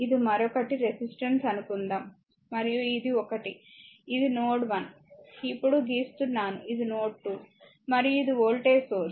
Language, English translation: Telugu, Suppose this is your resistance another one, and this is one, this is your node 1, just now we draw this is node 2, and this is the voltage source, right